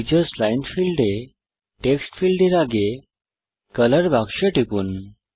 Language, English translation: Bengali, In the Teachers line field, click on the color box next to the Text field